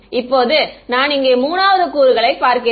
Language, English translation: Tamil, Now, I am looking at the 3rd component